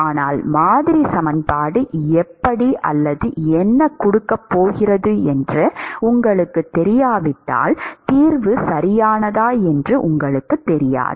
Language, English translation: Tamil, But if you do not know how the or what the model equation is going to give, you do not know whether the solution is right